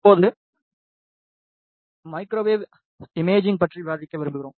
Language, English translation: Tamil, Now, we would like to discuss about the microwave imaging